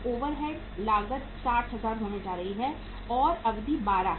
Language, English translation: Hindi, Overhead cost is going to be 60,000 and period is how much is uh 12